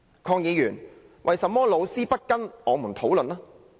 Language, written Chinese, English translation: Cantonese, 鄺議員，為甚麼老師不跟我們討論呢？, Mr KWONG why do teachers not discuss with us about it?